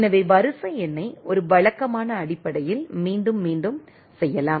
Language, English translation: Tamil, So, the sequence number can be repeated on the means on a regular basis